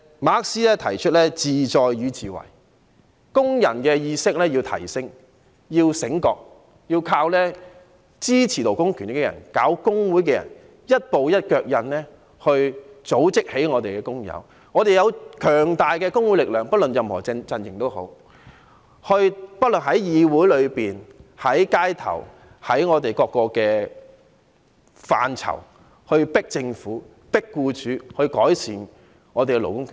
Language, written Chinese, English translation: Cantonese, 馬克思提出"自在與自為"，工人意識要提升，要醒覺，要靠支持勞工權益的人、搞工會的人，一步一腳印去組織起我們的工友，我們有強大的工會力量，不論任何陣營也好，無論在議會裏面、在街頭，在各個範疇去迫政府，迫僱主改善我們的勞工權益。, According to MARXs theory of class in itself and class for itself workers consciousness should be enhanced and awakened . Workers must rely on those who support the fight for labour rights and interests as well as those trade union activists by taking gradual yet pragmatic steps to organize workers . And then we will have the strong power and the solid support from trade unions no matter which camps they belong to to press both the Government and employers to improve labour rights and interests on various fronts on every occasion at the meetings of this Council or on the streets